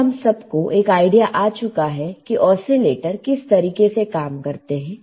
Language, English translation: Hindi, In general, now we have an idea of how oscillators would work right